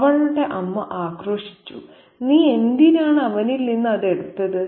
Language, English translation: Malayalam, Her mother chided, why did you take it from him